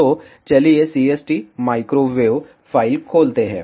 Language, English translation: Hindi, So, let us open the CST microwave file